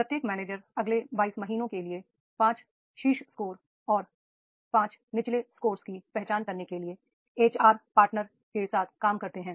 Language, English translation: Hindi, Each people manager worked with the HR partner to identify five top scores and bottom five scores to focus for the next 22 months